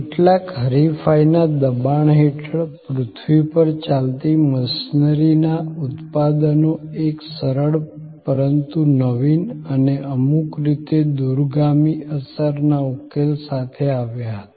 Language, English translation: Gujarati, Under some competitive pressures, the manufacturers of earth moving machineries came up with a simple, but innovative and in some way, a solution of far reaching impact